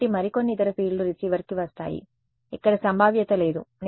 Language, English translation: Telugu, So, some more the other field will come to the receiver right there is no probability here